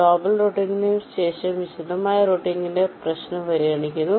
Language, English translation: Malayalam, so, after global routing, we consider the problem of detailed routing